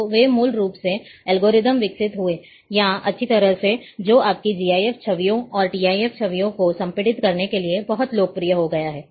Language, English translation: Hindi, So, they developed, basically the algorithm, or well, which is became very popular, to compress your GIF images, and TIF images